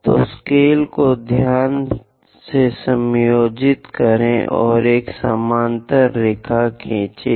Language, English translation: Hindi, So, adjust the scale carefully and draw a parallel line